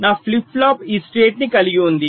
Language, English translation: Telugu, so my flip flop contains this state